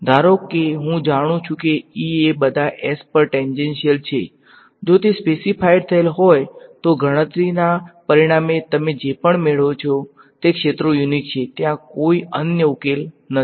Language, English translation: Gujarati, Supposing I know E tangential over all of S ok; if that is specified then whatever you get as the result of a calculation the fields they are unique, there is no other solution that is correct ok